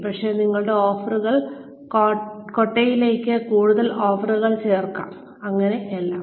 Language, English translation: Malayalam, Maybe, you can add on, more offerings to your basket of offerings, so all that